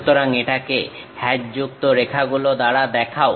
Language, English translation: Bengali, So, we show it by hatched lines